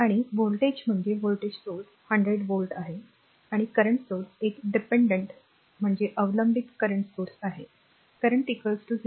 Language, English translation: Marathi, And voltage is voltage source is 100 volt, and current source one dependent current source is there current is equal to there is a 0